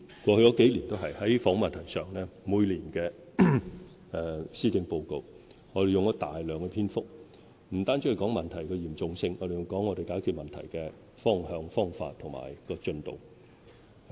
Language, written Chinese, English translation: Cantonese, 過去數年，在房屋問題上，每年的施政報告用了大量篇幅，不單提到問題的嚴重性，還有解決問題的方向、方法及進度。, The policy address in each of the past few years had discussed the housing problem at length depicting the seriousness of the problem the direction and ways of solving the problem as well as the progress made